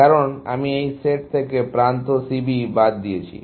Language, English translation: Bengali, Because I have excluded the edge C B from that set, essentially